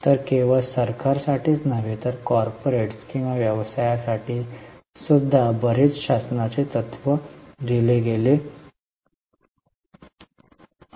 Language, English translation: Marathi, So, lot of governance principle, not only for government, even for corporates or businesses have been laid down